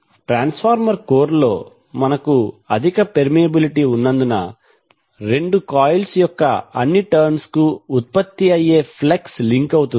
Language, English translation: Telugu, Since we have high permeability in the transformer core, the flux which will be generated links to all turns of both of the coils